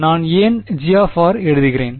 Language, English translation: Tamil, Why I am writing G of r